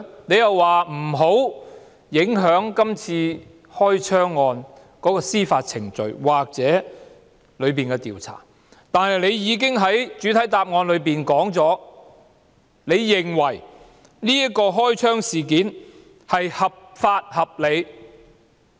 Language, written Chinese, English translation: Cantonese, 他又說不想影響今次開槍案件的司法程序或調查，但他在主體答覆中表示，他認為這宗開槍事件合法合理。, Despite claiming that he did not want to affect the judicial proceedings or investigation of the gunshot case he stated in the main reply that the open fire was lawful and reasonable